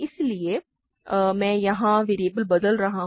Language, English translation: Hindi, So, I am changing variables here